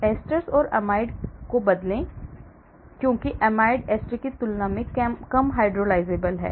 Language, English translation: Hindi, Replace esters with amide because amides are less hydrolysable than esters